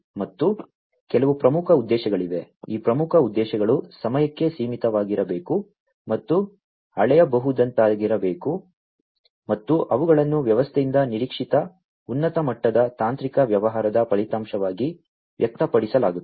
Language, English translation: Kannada, And there are certain key objectives these key objectives should be time bound and should be measurable, and they are expressed as high level technical business outcome expected from the system